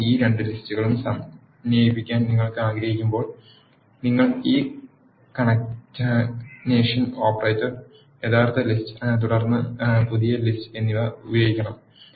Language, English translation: Malayalam, So, when you want to concatenate these two lists you have to use this concatenation operator, the original list and then the new list